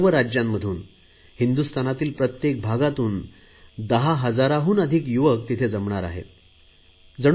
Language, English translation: Marathi, I have been told that 10,000 young people will gather from all over India